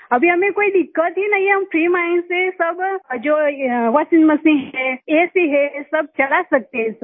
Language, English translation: Hindi, Right now we do not have any problem, we can run all this… washing machine, AC, everything with a free mind, sir